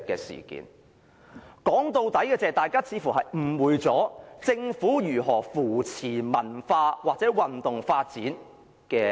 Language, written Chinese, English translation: Cantonese, 說到最終，大家似乎誤會了怎樣辨識政府有否扶持文化或運動發展。, In the final analysis people seem to have misunderstood the way to differentiate whether the Government has supported cultural and sports development or not